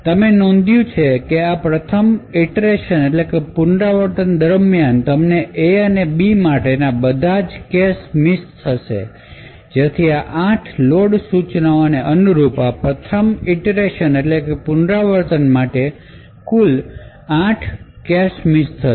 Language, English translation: Gujarati, So, you notice that during the first iteration you would get all cache misses for A as well as B so in total for this first iteration corresponding to these 8 load instructions there will be a total of 8 cache misses